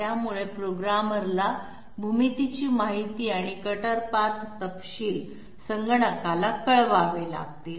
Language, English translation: Marathi, So the programmer will have to intimate geometry information and cutter path details to the computer